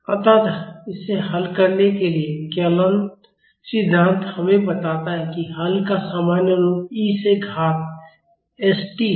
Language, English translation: Hindi, So, to solve this, the calculus theory tells us that, the general form of the solution is e to the power s t